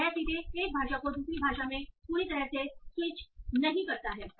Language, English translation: Hindi, So it not directly completely switch one language to another